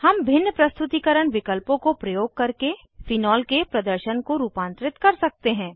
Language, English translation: Hindi, We can modify the display of phenol using various rendering options